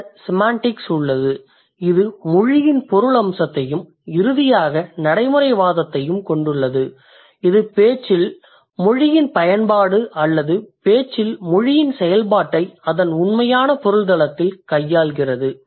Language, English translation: Tamil, Then we have semantics which deals with the meaning aspect of language and finally pragmatics which deals with the usage of language in the discourse or the or the function of language in the discourse in its real sense